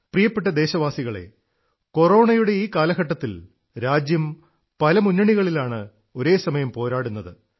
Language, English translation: Malayalam, My dear countrymen, during this time period of Corona, the country is fighting on many fronts simultaneously